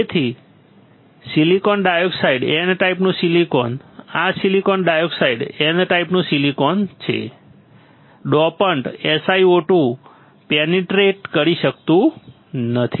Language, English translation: Gujarati, So, the silicon dioxide the N type silicon; this is silicon dioxide N type silicon, the dopant cannot penetrate through SiO 2